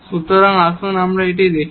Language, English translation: Bengali, So, let us write down this here